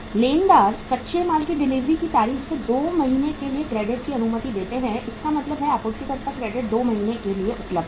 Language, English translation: Hindi, Creditors allow credit for 2 months from the date of delivery of raw material so it means suppliers credit is available for 2 months